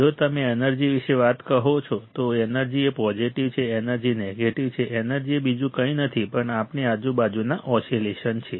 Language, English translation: Gujarati, If you say about energy, energy is a positive, energy negative energy is nothing but the oscillations around us oscillations around us